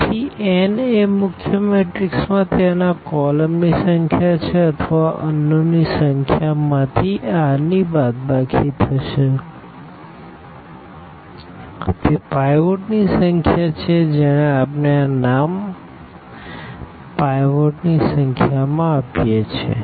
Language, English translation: Gujarati, So, n is the number of the columns there in this main matrix here a or the number of unknowns and minus this r, that is the number of pivots we give this name to the number of pivots